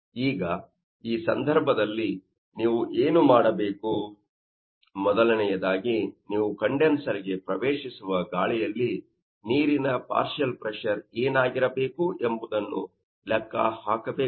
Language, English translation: Kannada, Now, in this case, what you have to do, first of all you have to calculate what should be the partial pressure of water in the air that is entering the condenser